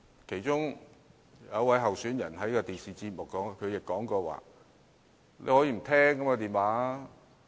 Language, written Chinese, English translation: Cantonese, 其中一位候選人曾在電視節目中表示，大家大可以不接聽這類電話。, One of the candidates once said in a television program that we could decide not to answer such calls